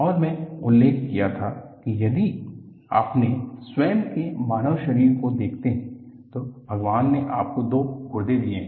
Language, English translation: Hindi, And I used to mention, if you look at your own human body, God has given you with two kidneys